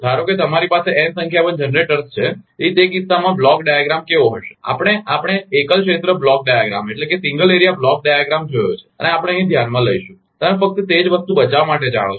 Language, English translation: Gujarati, suppose you have a n number of generators, so in that case how the block diagram will be, because single area block diagram we have seen and we will consider here, you know to just to save the space same thing